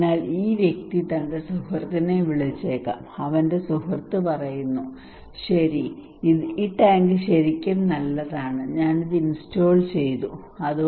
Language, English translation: Malayalam, So this person may call his friend, and his friend says okay this tank is really good I installed this one okay